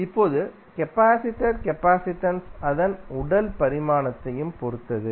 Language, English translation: Tamil, Now, capacitance of a capacitor also depends upon his physical dimension